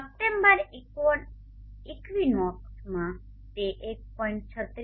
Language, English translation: Gujarati, At the September equine aux it is 1